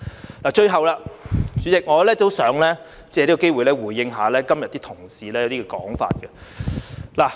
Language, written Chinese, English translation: Cantonese, 主席，最後，我也想借此機會回應今天一些同事的說法。, Lastly President I wish to take this opportunity to respond to the remarks made by some colleagues today